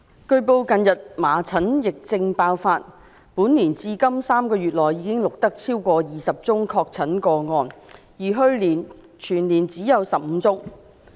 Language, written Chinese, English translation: Cantonese, 據報，近日麻疹疫症爆發：本年至今已錄得超過20宗確診個案，而去年全年只有15宗。, It has been reported that there is a recent outbreak of measles epidemic this year up to the present more than 20 confirmed cases of measles infection have been recorded while the figure for the whole of last year was only 15